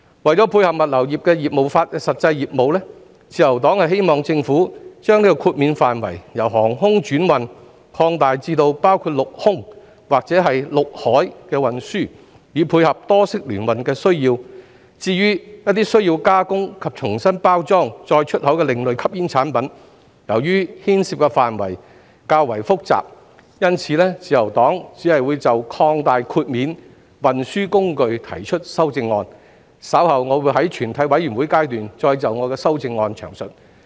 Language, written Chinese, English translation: Cantonese, 為配合物流業的實際業務，自由黨希望政府把豁免範圍由航空轉運擴大至包括陸空或陸海運輸，以配合多式聯運的需要；至於一些需要加工及重新包裝再出口的另類吸煙產品，由於牽涉範圍較為複雜，因此，自由黨只會就擴大豁免運輸工具提出修正案，稍後我會在全體委員會審議階段再就我的修正案詳述。, To cater for the actual business of the logistics industry the Liberal Party hopes that the Government will extend the scope of exemption from air transhipment to combined transport by land and air or by land and sea so as to meet the needs of multi - modal transport . As for alternative smoking products which need processing and repackaging for re - export owing to the complexity of the subject matter involved the Liberal Party will only propose an amendment to extend the exemption to other means of transport . I will elaborate on my amendment later at the Committee stage